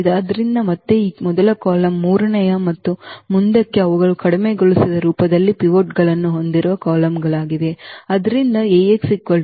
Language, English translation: Kannada, So, again this first column third and forth they are the columns which have the pivots in their reduced in its reduced form